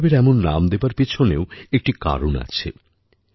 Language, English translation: Bengali, There is also a reason behind giving this special name to the festival